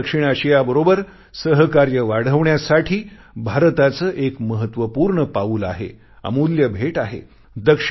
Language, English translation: Marathi, It is an important step by India to enhance cooperation with the entire South Asia… it is an invaluable gift